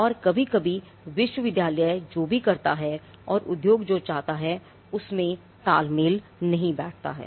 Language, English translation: Hindi, And sometimes what the institute has done the university has done may not be completely in sync with what the industry is looking for